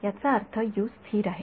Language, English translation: Marathi, It is not constant